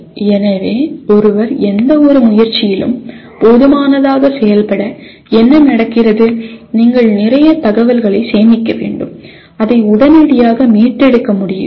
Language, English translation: Tamil, So what happens for anyone to function, adequately in any area of endeavor, you have to store lot of information and you should be able to readily retrieve